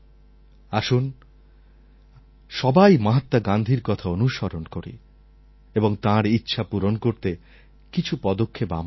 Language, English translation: Bengali, Come let us all follow what Mahatma Gandhi said and take a few steps towards fulfilling his wish